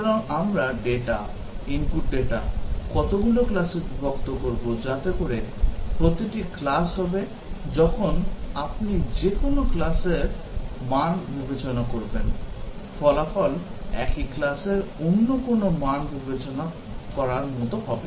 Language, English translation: Bengali, So, we will partition the data, input data, into a number of, number of classes, such that, each class will be, when you consider value from any class, the result will be the same as considering any other value from the same class